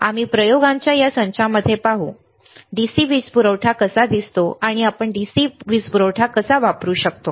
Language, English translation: Marathi, We will see in this set of experiments, how the DC power supply looks like and how we can use DC power supply